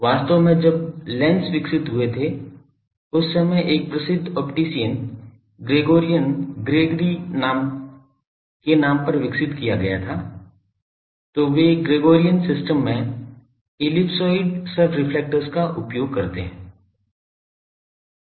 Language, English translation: Hindi, Actually when lenses were developed that time one famous optician Gregorian Gregory after his name it is a so they use ellipsoidal subreflectors in Gregorian system